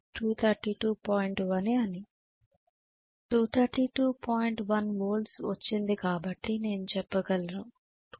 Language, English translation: Telugu, 1 volt so I can say 232